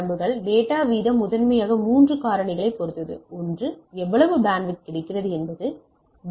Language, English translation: Tamil, So, data rate depends on primarily on 3 factors; one is the bandwidth available how much bandwidth you are available